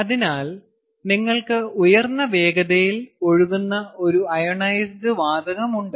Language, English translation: Malayalam, so you have an ionized gas which is flowing at a high velocity